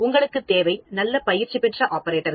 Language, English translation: Tamil, You should have good well trained operators